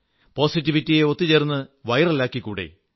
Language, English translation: Malayalam, Let's come together to make positivity viral